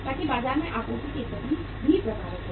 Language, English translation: Hindi, So that also affects the supply position in the market